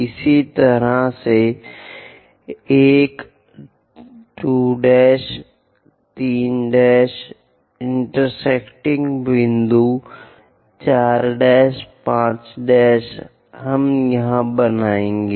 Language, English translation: Hindi, Similarly, a 2 dash, 3 dash intersecting point, 4 dash, 5 dash we will draw